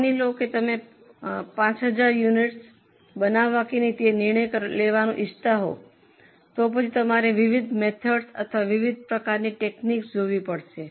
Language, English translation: Gujarati, Suppose you want to decide whether to make 5,000 units or not then you will have to go for different methods or different types of techniques